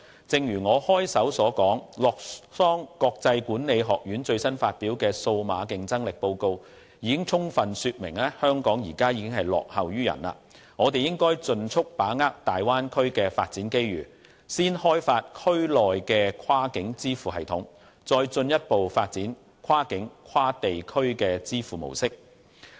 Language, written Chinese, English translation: Cantonese, 正如我開首所說，洛桑國際管理發展學院最新發表的《2018年數碼競爭力排名報告》已經充分說明，香港現時落後於人，我們應該盡速把握大灣區的發展機遇，先開發區內的跨境支付系統，再進一步發展跨境跨地區的支付模式。, As I said at the beginning the latest World Digital Competitiveness Ranking by the International Institute for Management Development has clearly demonstrated that Hong Kong is lagging behind others . We should seize the opportunities presented in the Bay Area expeditiously through the development of a cross - border payment system and the further development of cross - border cross - regional payment methods